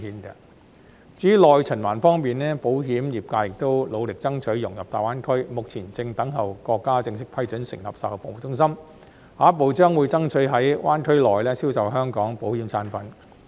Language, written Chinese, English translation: Cantonese, 至於內循環方面，保險業界亦努力爭取融入大灣區，目前正等候國家正式批准成立售後服務中心，下一步將會爭取在灣區內銷售香港保險產品。, As for domestic circulation the insurance industry is also striving to integrate into GBA . We are awaiting the countrys formal approval for the establishment of after - sales service centres and will then strive to sell Hong Kong insurance products in GBA